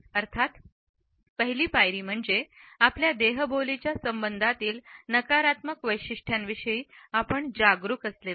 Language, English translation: Marathi, The first step of course, is to be aware of the negative traits which we may possess as for as our body language is concerned